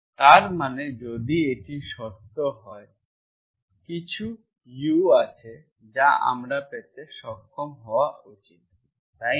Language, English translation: Bengali, That means if this is true, then there exists some U, I should be able to get, right this is the definition